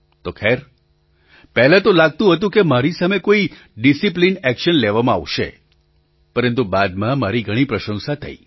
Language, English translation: Gujarati, So, at first it seemed that there would be some disciplinary action against me, but later I garnered a lot of praise